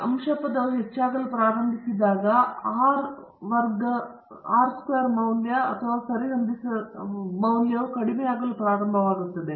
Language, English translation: Kannada, When the numerator term starts to increase then the R squared value or the adjusted R squared value will start to decrease